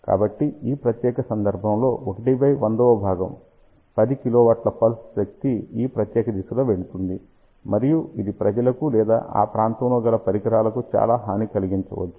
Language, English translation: Telugu, So, in that particular case, 1 by 100th will be 10 kilowatt of pulse power going in this particular direction and that may create lot of harm to the people or to the equipment in that particular region